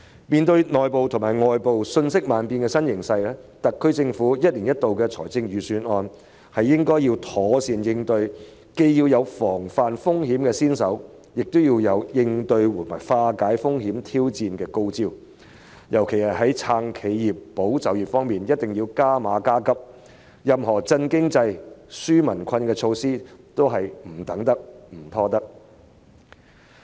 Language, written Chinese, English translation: Cantonese, 面對內部和外部瞬息萬變的新形勢，特區政府一年一度的預算案應要妥善作出應對，既要防範風險，亦要有應對及化解風險和挑戰的高招，特別在"撐企業、保就業"方面必須加碼加急，任何振興經濟、紓解民困的措施都是不能等待及拖延的。, Faced with ever - changing internal and external circumstances the SAR Government should introduce proper corresponding measures in its annual Budgets . Not only must risks be prevented but wise strategies must also be introduced to cope with and overcome risks and challenges . Regarding supporting enterprises and safeguarding jobs in particular further measures must be introduced expeditiously and any measures for boosting the economy and relieving peoples burden warrant no waiting and delay